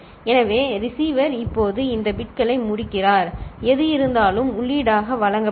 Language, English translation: Tamil, So, receiver end now these bits, whatever is there will be given as input